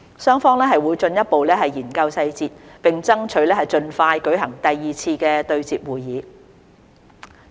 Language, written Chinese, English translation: Cantonese, 雙方會進一步研究細節，並爭取盡快舉行第二次對接會議。, The two sides will further study the details and strive to hold a second meeting as soon as possible